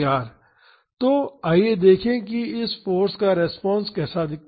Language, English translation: Hindi, So, let us see how the response to this force looks like